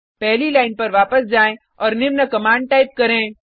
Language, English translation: Hindi, Go back to the first line and type the following command